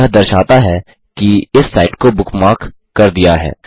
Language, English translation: Hindi, This indicates that this site has been bookmarked